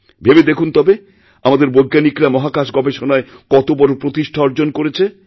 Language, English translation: Bengali, You can well imagine the magnitude of the achievement of our scientists in space